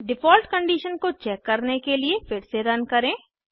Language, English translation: Hindi, Lets run again to check default condition